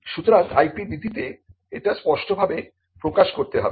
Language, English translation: Bengali, So, this has to come out clearly in the IP policy